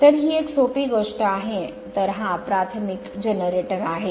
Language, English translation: Marathi, So, this is a simple thing so, this is elementary generator